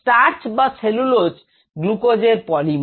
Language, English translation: Bengali, starch and cellulose happen to be polymers of glucose